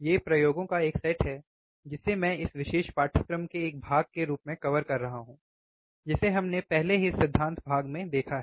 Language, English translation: Hindi, These are the set of experiments that I am covering as a part of this particular course which we have already seen in theory part